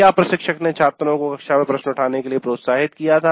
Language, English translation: Hindi, The instructor encouraged the students to raise questions in the classroom